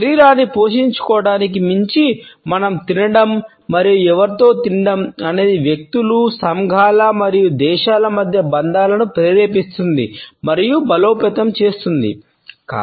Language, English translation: Telugu, Beyond merely nourishing the body, what we eat and with whom we eat can inspire and strengthen the bonds between individuals, communities and even countries”